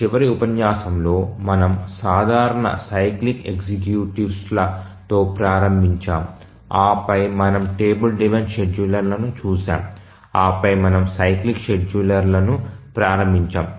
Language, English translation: Telugu, In the last lecture we started looking at the simple cyclic executives and then we looked at the table driven scheduler and then we had started looking at the cyclic scheduler